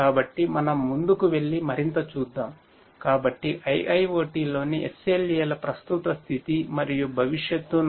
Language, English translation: Telugu, So, let us go ahead and look further, so the current status and future of SLAs in IIoT